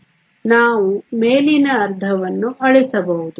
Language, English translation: Kannada, So, We can erase the top half